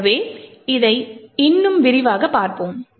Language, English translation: Tamil, So, let us see this more in detail